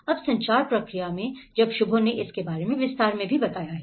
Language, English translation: Hindi, Now in the communication process, of course when Shubho have dealt in detailed about it